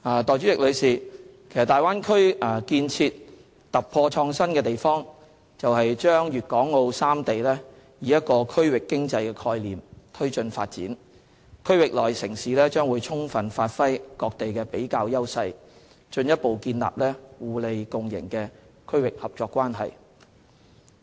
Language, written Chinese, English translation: Cantonese, 代理主席，大灣區建設突破創新之處，就是把粵港澳三地以一個區域經濟概念推進發展，區域內城市將充分發揮各地的比較優勢，進一步建立互利共贏的區域合作關係。, Deputy President the innovative breakthrough of the Bay Area development lies in the concept of treating Guangdong Hong Kong and Macao as a single regional economy . Cities in this region will give full play to their distinctive advantages to further establish a mutually beneficial regional cooperative relationship